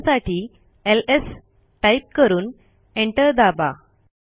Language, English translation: Marathi, To see there presence type ls and press enter